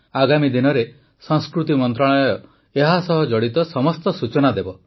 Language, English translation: Odia, In the coming days, the Ministry of Culture will provide all the information related to these events